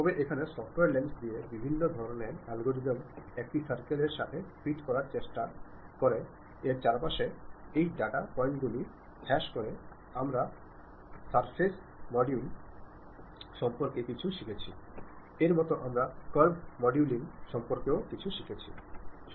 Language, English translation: Bengali, But here software actually lens that different kind of algorithm try to fit a circle around that by minimizing these data points we have learned something about surface modeling similar to that we have learned something about curve modeling also